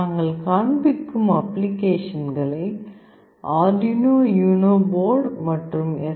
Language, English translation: Tamil, The applications that we will be showing can be run using both Arduino UNO board as well as STM board